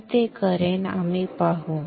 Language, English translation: Marathi, I will do that we will see